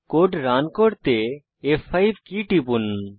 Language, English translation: Bengali, Press F5 key to run the code